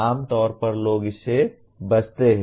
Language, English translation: Hindi, Normally people refrain from that